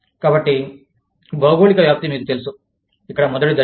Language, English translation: Telugu, So, geographic spread is, you know, is the first step, here